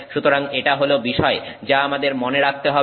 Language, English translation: Bengali, So, that is the point that we have to remember